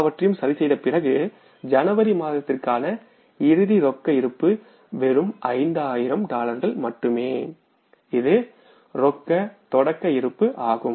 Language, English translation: Tamil, And after adjusting everything, we could find out is that the closing cash balance for the month of January is just $5,000 which was the opening balance of the cash